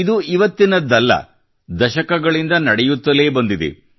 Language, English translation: Kannada, And this is not about the present day; it is going on for decades now